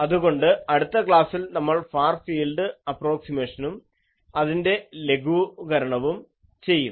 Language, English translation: Malayalam, So, in the next class, we will do the Far field approximation and we will simplify this